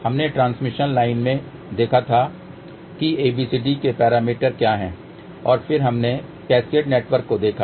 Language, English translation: Hindi, We also looked into the transmission line what are the abcd parameters of that and then we looked at the cascaded network